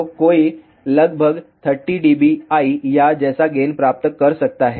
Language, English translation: Hindi, So, 1 can obtain gain of around thirty dBi also